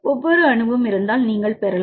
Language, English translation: Tamil, You can get if it is each atom